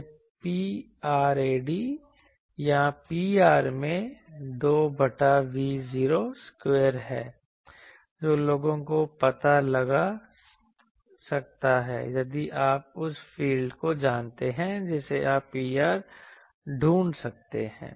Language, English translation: Hindi, It is the P rad or P r into 2 by V 0 square, so that people can find out if you know the field you can find the P r etc